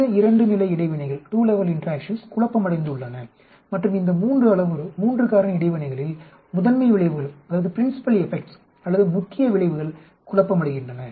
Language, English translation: Tamil, These 2 level interactions have been confounded and the principle effects or main effects are confounded way these 3 parameter, 3 factor interaction